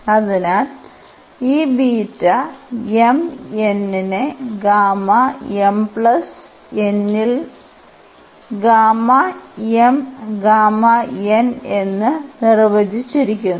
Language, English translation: Malayalam, So, this beta m, n is defined as gamma m gamma n over gamma m plus n